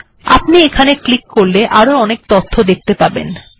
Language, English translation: Bengali, So if I click this, you will see lots of different things